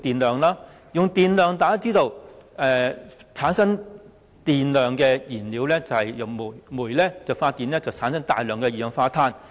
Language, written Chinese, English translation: Cantonese, 大家亦知道，發電的燃料是煤，而煤發電產生大量二氧化碳。, We also know that coal fuels electricity generation but burning coal emits large amounts of carbon dioxide